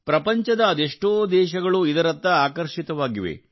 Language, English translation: Kannada, Many countries of the world are drawn towards it